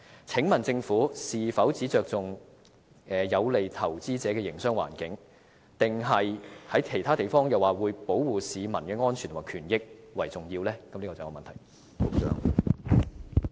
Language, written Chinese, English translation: Cantonese, 請問政府是否只注重有利投資者的營商環境，還是正如它在其他場合說，它亦會注重保護市民的安全及權益呢？, Is it true that the Government only cares about the business environment conducive to the investors or as it indicated on other occasions it also cares about protecting the safety and the rights of the people?